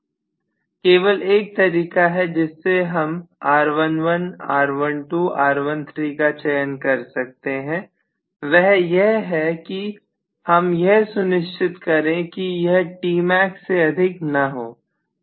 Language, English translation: Hindi, It, see only thing is the way I choose R11, R12, R13 and so on I should make sure that it does not does not supercede or exceed Tmax